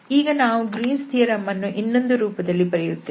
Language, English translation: Kannada, So the Greens theorem now we can write down or rewrite it again